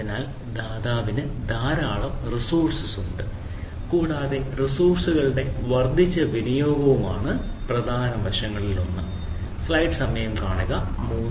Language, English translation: Malayalam, so provider has a huge volume of resources and that has a increase utilization of the resources is the one of the ah major aspects